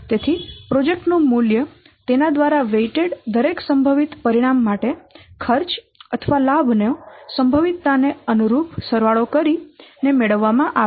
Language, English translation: Gujarati, So the value of the project is then obtained by summing the cost or benefit for each possible outcome weighted by its corresponding probability